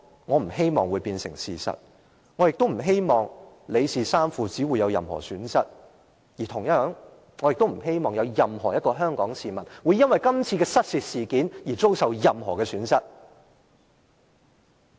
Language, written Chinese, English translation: Cantonese, 我不希望這會變成事實，我亦不希望李氏三父子會有任何損失；同樣地，我亦不希望有任何一名香港市民會由於今次失竊事件，遭受任何損失。, I do not want to see that what I have said would turn into the truth and neither do I hope that any loss would be caused to the father and sons of the LIs family . Similarly it is also not my wish to see any one of us in Hong Kong would suffer any loss as a result of the theft case in question